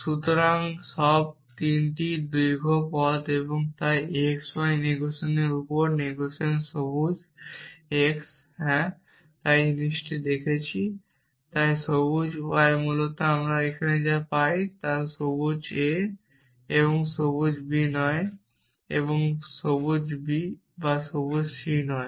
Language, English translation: Bengali, So, all 3 are long way so negation on x y negation green x yes seen that thing there and green y essentially what we get here is not green a and green b and not green b or green c